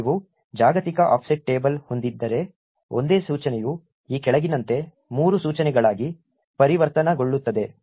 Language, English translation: Kannada, If you have a global offset table however, the same single instruction gets converted into three instructions as follows